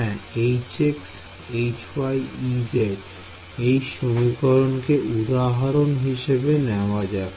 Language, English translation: Bengali, Yeah, H x H y and E z so, let us take this equation for example, right